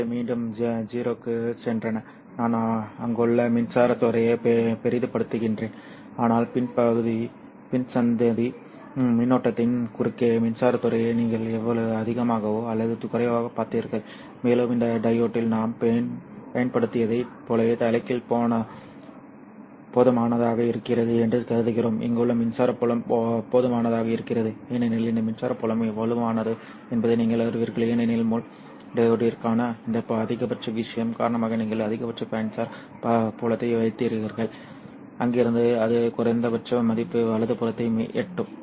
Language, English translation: Tamil, I am exaggerating the electric field out there, but this is how more or less you saw the electric field across the PIN junction correct and we assume that the reverse piaz which we have applied to this diode is sufficiently large so that the electric field here is sufficiently strong okay and because this electric field you know the strongest comes mainly because of this E max thing for the pin diode you simply have a maximum electric field and from there it will reach down to the minimum value